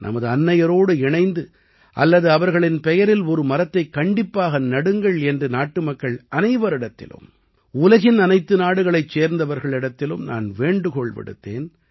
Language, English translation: Tamil, I have appealed to all the countrymen; people of all the countries of the world to plant a tree along with their mothers, or in their name